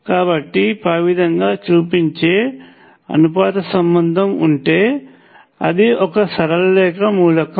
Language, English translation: Telugu, So, if you have a relationship that shows proportionality like this it is a linear element